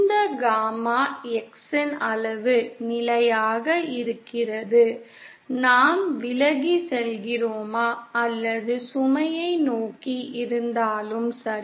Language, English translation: Tamil, The magnitude of this gamma X keeps constant, whether we are moving away or towards the load towards the load